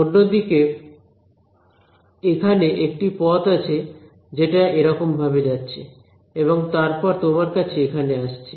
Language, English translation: Bengali, On the other hand there is a path that seems to go like this and then come to you over here ok